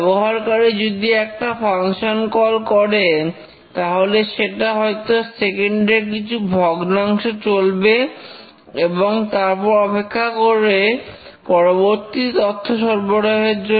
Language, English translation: Bengali, If the user invokes, let's say, each function, it runs for a fraction of a second or something and waits for the next input